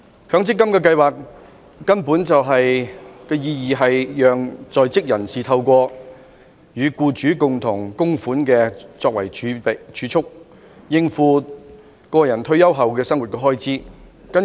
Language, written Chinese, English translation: Cantonese, 強積金計劃的意義是讓在職人士透過與僱主共同供款作為儲蓄，應付個人退休後的生活開支。, The significance of the MPF schemes is to enable working persons to make savings through contributions with the employers so as to meet their living expenses in retirement life